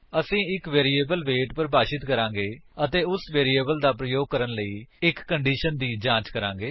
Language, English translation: Punjabi, We shall define a variable weight and check for a condition using that variable